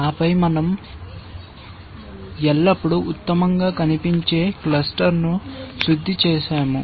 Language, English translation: Telugu, And then we always refined the best looking cluster